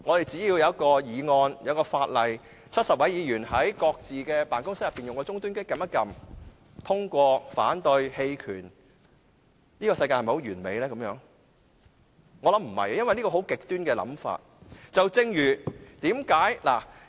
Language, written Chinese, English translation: Cantonese, 只要有一項議案、法例 ，70 位議員可在各自的辦公室的終端機按下"贊成"、"反對"或"棄權"的按鈕，這樣的世界是否很完美呢？, When a motion or piece of legislation is put to the vote 70 Members can press the yes no or abstain button on the computer terminal in their respective offices . Is such a world perfect?